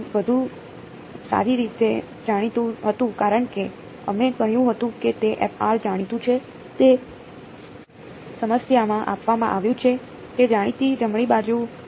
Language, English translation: Gujarati, f n had better be known because we said that f r is known is given in the problem its a known right hand side